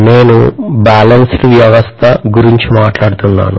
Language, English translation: Telugu, I am talking about balanced system